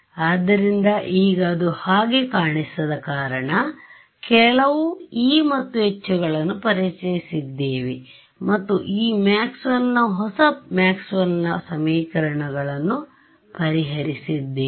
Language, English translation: Kannada, So, now, let us because it does not seem that way, just seem that we have done some make belief world where we have introduced some e’s and h’s and solved this Maxwell’s new Maxwell’s equations, but let us look at the conclusion right